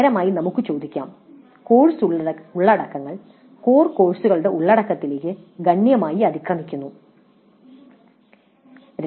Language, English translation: Malayalam, Ultimately we could ask the question the course contents overlap substantially with the contents of core courses